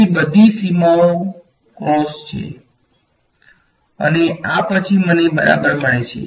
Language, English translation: Gujarati, So, all the boundaries are brackets after this is what I get ok